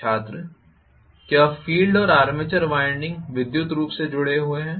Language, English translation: Hindi, Are the field and armature windings electrically connected